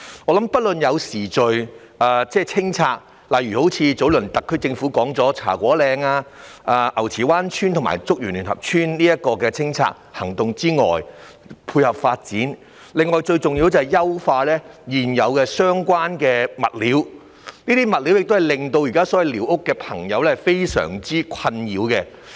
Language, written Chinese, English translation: Cantonese, 我認為除了有序進行清拆，例如特區政府早前所說的茶果嶺、牛池灣村和竹園聯合村清拆行動，以配合發展之外，最重要是必須優化現有相關物料，因這問題現時令寮屋居民深感困擾。, To tie in with the citys development I think that it is most important that the existing approved materials be improved in addition to carrying out the clearance exercise in an orderly manner just like the clearance of the squatter areas in Cha Kwo Ling Ngau Chi Wan and Chuk Yuen United Villages as mentioned by the SAR Government earlier since such issue has caused the squatter dwellers great distress for the time being